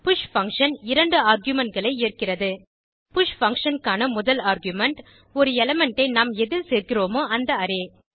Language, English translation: Tamil, push function takes 2 arguments 1st argument to the push function, is the Array in which to add an element